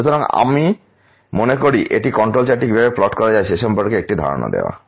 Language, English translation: Bengali, So I think this is sort of giving an idea of how the control chart can be plotted